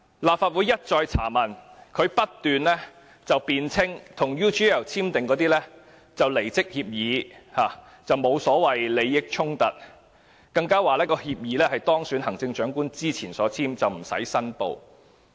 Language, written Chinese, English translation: Cantonese, 立法會一再查問，但他不斷辯稱與 UGL 簽署的是離職協議，沒有利益衝突，他還說協議是在當選行政長官之前簽訂的，無須申報。, Though the Legislative Council has inquired about that time and again he kept saying that he only signed a resignation agreement with UGL and no conflict of interest was involved he also said that the agreement was signed before he was elected the Chief Executive so he did not need to declare